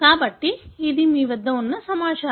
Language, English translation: Telugu, So, this is the information you have